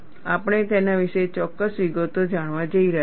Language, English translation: Gujarati, We are going to learn certain details about it